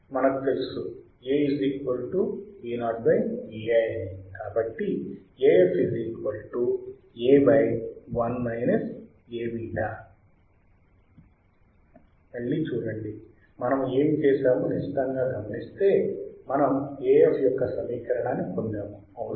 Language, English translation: Telugu, See again we if we closely see what we have done, we have we have derived the equation of A f the equation of A f right